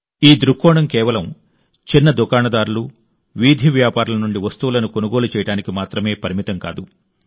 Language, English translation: Telugu, This vision is not limited to just buying goods from small shopkeepers and street vendors